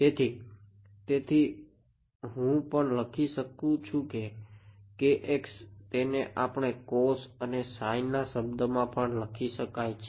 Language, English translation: Gujarati, So, I can also write down kx can be written in terms of cos and sin